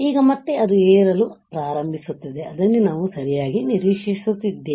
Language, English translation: Kannada, Now, again it will start rising which is what we are expecting correct